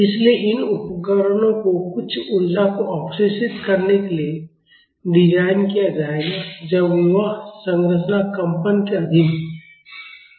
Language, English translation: Hindi, So, these devices will be designed in order to absorb some energy when that structure is under vibration